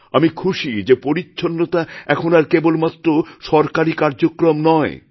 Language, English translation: Bengali, And I'm happy to see that cleanliness is no longer confined to being a government programme